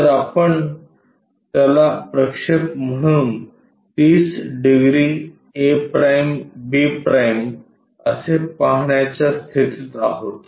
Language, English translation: Marathi, So, we will be in a position to see that as a projection 30 degrees a’ b’